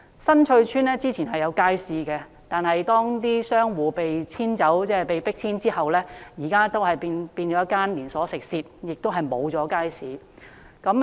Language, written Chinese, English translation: Cantonese, 新翠邨之前亦有街市，但商戶被迫遷之後，現時已變成一間連鎖食肆，再沒有街市了。, There was a market at Sun Chui Estate but it has been turned into a branch of restaurant chain after its commercial tenants were forced out